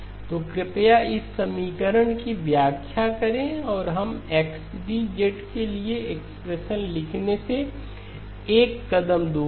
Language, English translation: Hindi, So please interpret this equation and we are one step away from writing the expression for XD of z